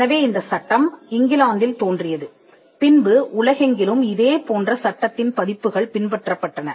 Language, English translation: Tamil, So, the law originated in England and it was followed around the world similar versions of the law